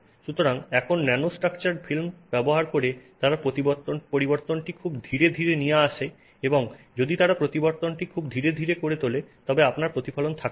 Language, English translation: Bengali, So, now using nanostructured films, they make the change very gradual, and if they make the change very gradual, you don't have reflections